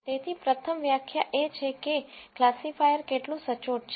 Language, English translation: Gujarati, So, the first definition is how accurate the classifier is